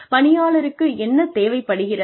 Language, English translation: Tamil, How the employee can use